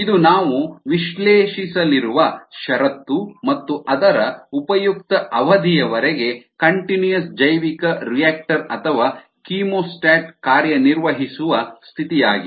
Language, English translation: Kannada, this is the condition that we are going to analyze and which is the condition under which the continuous bioreactor or the chemostat will be in operation for most of it's useful period